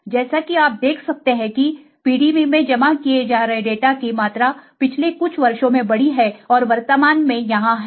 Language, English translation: Hindi, As you can see the amount of data being deposited in PDB has grown over the years and is currently around here